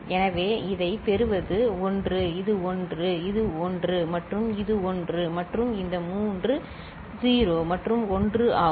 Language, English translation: Tamil, So, what we get this is 1; this is 1; this is 1 and this is 1 and this three 0’s and 1